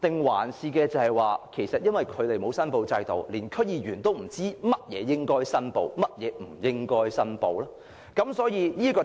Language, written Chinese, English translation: Cantonese, 還是，因為沒有申報制度，連區議員亦不知道甚麼要申報，甚麼無需申報呢？, Or is it right to say that due to the lack of a declaration system even DC members do not know what ought or ought not to be declared?